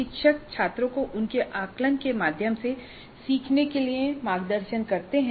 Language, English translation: Hindi, Teachers guide the students to learn through their assessments